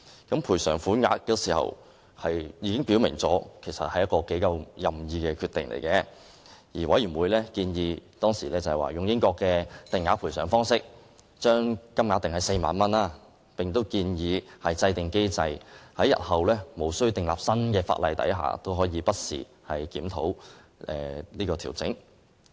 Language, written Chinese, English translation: Cantonese, 關於賠償款額，當時已表明是一個頗為任意的決定，而委員會當時建議根據英國的定額賠償方式，將金額定為4萬元，同時建議制訂機制，日後在無須訂立新法例的情況下，也可以不時檢討和調整。, The Commission made it clear that time that fixing the amount of the award for bereavement was an arbitrary decision . It proposed to follow the British approach of awarding a fixed sum initially at 40,000 . It also suggested that a mechanism be devised to enable this figure to be adjusted and reviewed from time to time without the need for new legislation